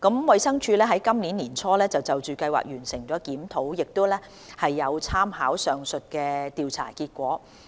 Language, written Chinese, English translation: Cantonese, 衞生署於今年年初就計劃完成的檢討，亦有參考上述調查結果。, The review of the Scheme completed by the Department of Health DH earlier this year also drew reference from the above survey results